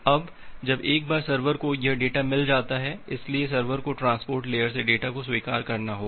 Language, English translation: Hindi, Now once the server gets this data, so server need to accept the data from the transport layer